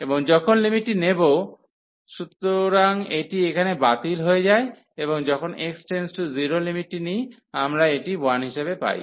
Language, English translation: Bengali, And when taking the limits, so here this is cancel out and when taking the limit x approaching to 0, so we will get this as 1